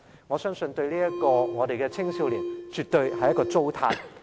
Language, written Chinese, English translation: Cantonese, 我相信對於這些青少年來說，這絕對是一種糟蹋。, I think this is definitely a waste of talents as far as these youngsters are concerned